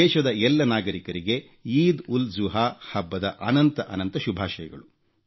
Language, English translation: Kannada, Heartiest felicitations and best wishes to all countrymen on the occasion of EidulZuha